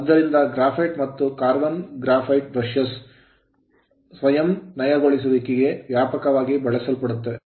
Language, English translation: Kannada, Therefore graphite and carbon graphite brushes are self lubricating and widely used